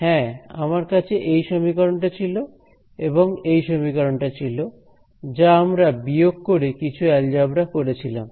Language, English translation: Bengali, So, remember we had these two equations; yeah I had this equation and this equation, which at subtracted done some algebra and so on